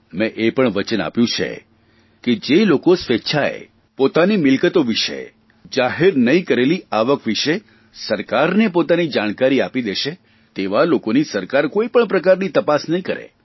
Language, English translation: Gujarati, I have also promised that for those who voluntarily declare to the government their assets and their undisclosed income, then the government will not conduct any kind of enquiry